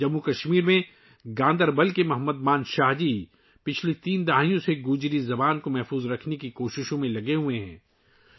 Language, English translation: Urdu, Mohammad Manshah ji of Ganderbal in Jammu and Kashmir has been engaged in efforts to preserve the Gojri language for the last three decades